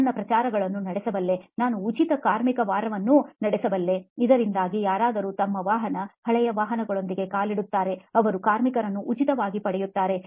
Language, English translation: Kannada, Well, he said I could run promotions, I could run free labour week so that anybody who walks in with their vehicle, old vehicles in particular, gets the labour for free